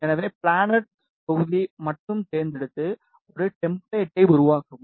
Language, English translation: Tamil, So, select the planar module only and create a template